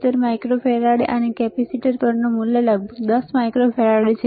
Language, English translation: Gujarati, 77 microfarad, and the value on the capacitor is about 10 microfarad